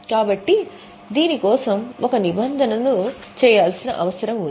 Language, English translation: Telugu, So, there will be a need to create a provision for this